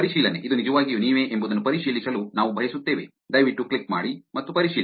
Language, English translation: Kannada, Verification, saying that, we want to verify whether it is really you, please click and verify